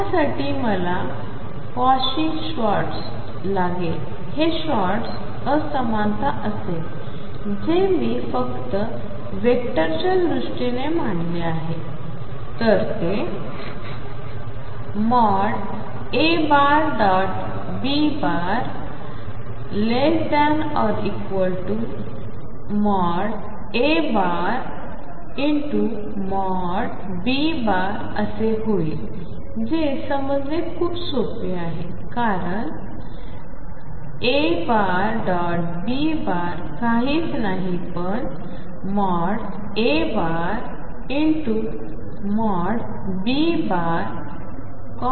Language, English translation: Marathi, For that I need something called the Cauchy Schwartz, Schwartz will be swa inequality, which if I simply put in terms of vectors it says nothing but A dot B magnitude is less than or equal to magnitude of A and magnitude of B product which is very easy to understand because A dot B is nothing but magnitude of A magnitude of B times cosine of theta